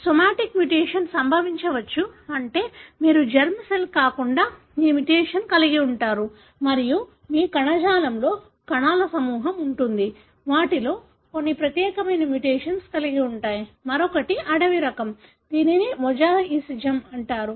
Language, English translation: Telugu, But, it may so happen that the somatic mutation may occur, that is you have a mutation in your other than germ cell and then you have group of cells in your tissue, some of them are having one particular mutation, other one is wild type, this is called as mosaicism